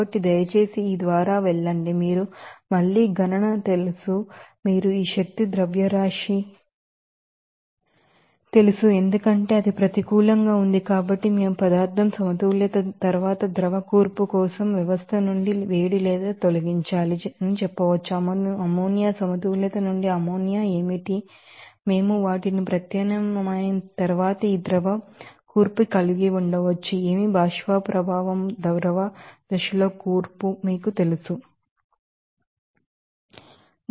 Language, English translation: Telugu, So, please go through this you know calculation again then finally, you get this you know this mass of energy they are since it is negative, so, we can say that heat must be removed from the system for the liquid composition after material balance, what is that ammonia from the ammonia balance we can have this this liquid composition after substitution of those, you know composition in the vapour and liquid phase